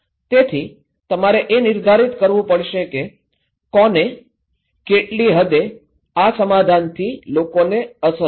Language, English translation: Gujarati, So, you have to define that who, what extent this and this settlement and these people will be affected